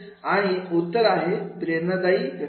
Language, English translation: Marathi, And the answer is motivational processes